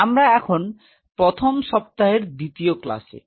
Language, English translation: Bengali, So, we are in to week 1 class 2